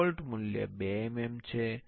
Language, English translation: Gujarati, The default value is 2 mm